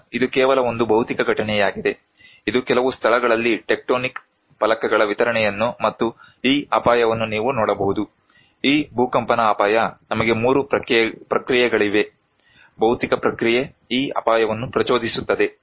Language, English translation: Kannada, Now, this is just simply a physical event, this is you can see some of the distribution of the tectonic plates in some places and this hazard; this earthquake hazard, we have 3 processes; physical process that can trigger this hazard